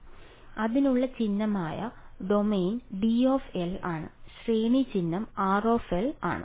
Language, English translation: Malayalam, So, the domain the symbol for that is D L and the range symbol is R of L right